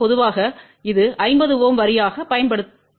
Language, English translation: Tamil, Generally this is used as a 50 ohm line